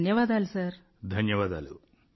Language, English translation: Telugu, Thank you, Thank you Sir